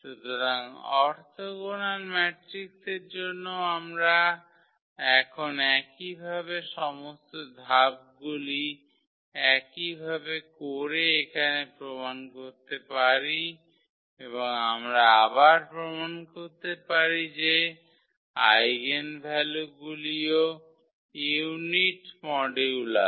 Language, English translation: Bengali, So, for orthogonal matrices also now we can prove thus the similar all absolutely all same steps here and we can again prove the there eigenvalues are also of unit modulus